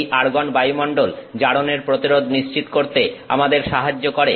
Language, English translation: Bengali, So, the argon atmosphere helps us ensures prevention of oxidation